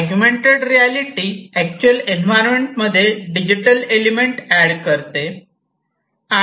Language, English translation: Marathi, Augmented reality adds digital elements to the actual environment